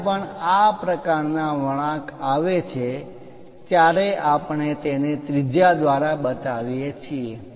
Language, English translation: Gujarati, Whenever this kind of curves are there, we show it by radius